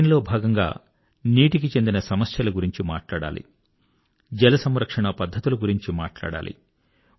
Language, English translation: Telugu, In this campaign not only should we focus on water related problems but propagate ways to save water as well